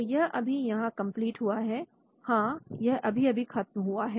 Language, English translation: Hindi, So this one has been completed just now, yeah this one has been completed just now